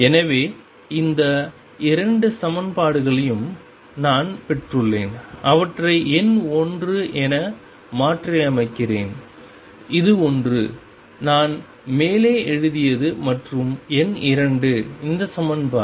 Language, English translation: Tamil, So, I have got these 2 equations let me remember them number 1 is this one, that I wrote on top and number 2 is this equation